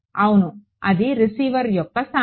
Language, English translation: Telugu, Yeah that is the location of the receiver right